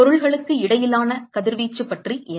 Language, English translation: Tamil, What about the radiation between the objects